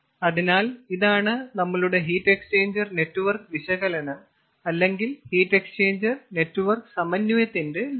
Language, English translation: Malayalam, so this is what is the target of our heat exchanger network analysis or heat exchanger network synthesis: synthesis of heat exchanger network, heat exchanger network